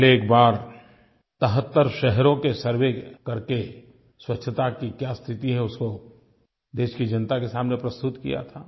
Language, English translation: Hindi, Earlier, the cleanliness status was presented before the countrymen after conducting a survey of 73 cities